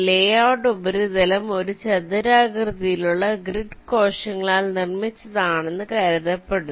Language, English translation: Malayalam, it says that the layout surface is assumed to be made up of a rectangular array of grid cells